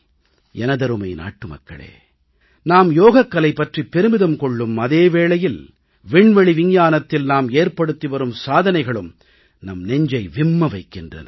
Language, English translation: Tamil, My dear countrymen, on the one hand, we take pride in Yoga, on the other we can also take pride in our achievements in space science